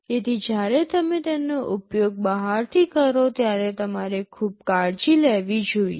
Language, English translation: Gujarati, So, when you use them from outside you should be careful